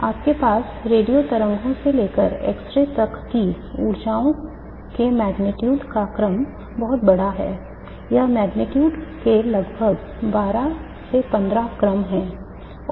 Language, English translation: Hindi, The order of magnitude of energies that you have from radio waves to x rays that order is very large